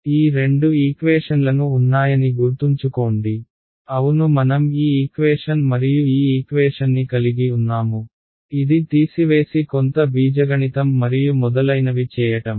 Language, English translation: Telugu, So, remember we had these two equations; yeah I had this equation and this equation, which at subtracted done some algebra and so on